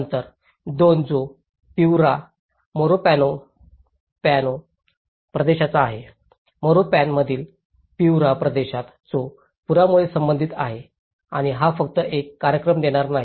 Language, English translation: Marathi, Number 2 which is of Piura Morropón region; in Piura region in Morropón which has been associated with the floods and it is not just only a one event oriented